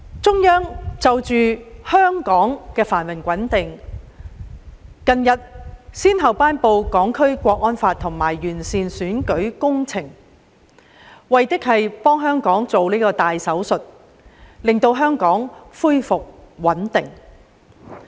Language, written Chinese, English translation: Cantonese, 中央就着香港的繁榮穩定，近日先後頒布《香港國安法》和完善選舉制度，為的是給香港動大手術，令香港恢復穩定。, In order to safeguard the prosperity and stability of Hong Kong the Central Authorities have recently promulgated the Hong Kong National Security Law and improved our electoral system with a view to restoring stability in society by performing a major surgery on the territory